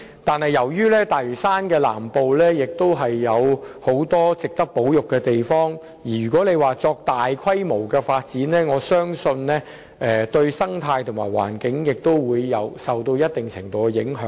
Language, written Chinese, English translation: Cantonese, 但由於大嶼山南部亦有很多值得保育的地方，如要作大規模發展，我相信對該區的生態和環境會造成一定程度的影響。, I believe that given the large number of places worthy of conservation in South Lantau if large - scale developments are to be carried out the ecology and environment of the district will be affected to a certain extent